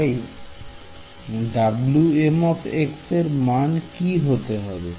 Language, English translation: Bengali, So, what should W m be